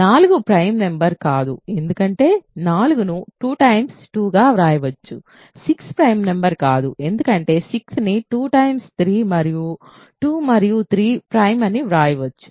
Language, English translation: Telugu, 4 is not a prime number because 4 can be written as 2 times 2, 6 is not a prime number because 6 can be written as 2 times 3 and 2 and 3 are